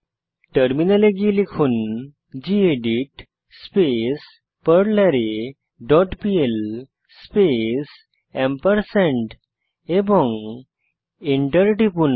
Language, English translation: Bengali, Switch to the terminal and type gedit arrayLength dot pl space ampersand Press Enter